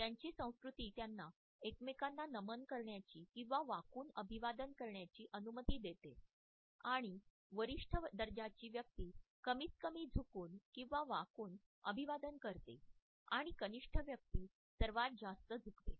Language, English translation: Marathi, Their culture allows them to bow to each other, and the person with the higher status bows the least and the one with the least status bows the most